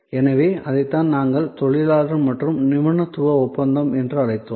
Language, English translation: Tamil, So, that is what we called labor and expertise contract